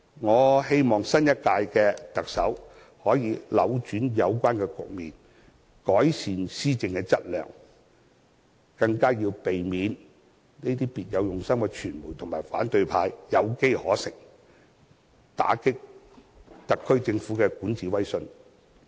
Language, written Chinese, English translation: Cantonese, 我希望新一屆的特首可以扭轉有關局面，改善施政的質素，更要避免讓這些別有用心的傳媒和反對派有機可乘，打擊特區政府的管治威信。, I hope that the new Chief Executive can reverse this situation and improve the quality of his or her governance and more importantly avoid letting these ill - intentioned members of the media industry and the opposition camp use it to undermine the credibility of his or her administration